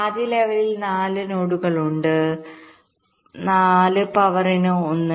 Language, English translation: Malayalam, first level: there are four nodes